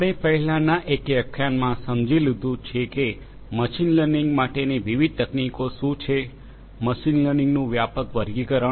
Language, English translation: Gujarati, We have already understood in the previous one, what are the different techniques for machine learning, the broad classifications of machine learning